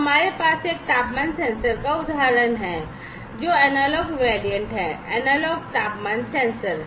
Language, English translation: Hindi, So, we have the example of a temperature sensor which is the analog variant, the analog temperature sensor